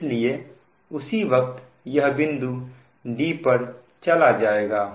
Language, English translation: Hindi, so immediately this point will move to d